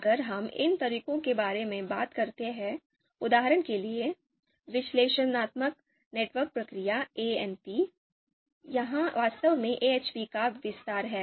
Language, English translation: Hindi, If we talk about these methods for example, Analytic Network Process ANP, this is actually expansion of AHP